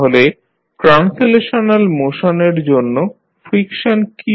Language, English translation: Bengali, So, what is the friction for translational motion